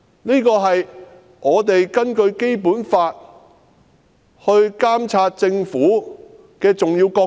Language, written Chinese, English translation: Cantonese, 這是我們根據《基本法》監察政府的重要角色。, This is our significant role of monitoring the Government accordance with the Basic Law